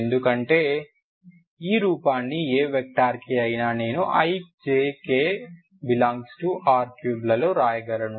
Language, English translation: Telugu, Because any vector i can write in terms of ijk in r3